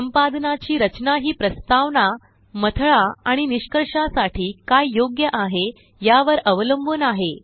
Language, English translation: Marathi, Structure the edit based on what is appropriate for introduction, body and conclusion